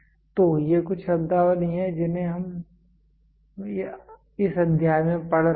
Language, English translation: Hindi, So, these are some of the terminologies which are which we have been going through in this chapter